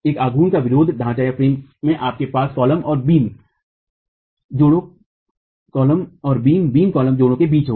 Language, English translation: Hindi, In a moment resisting frame you would have between the columns and the beams in a beam column joint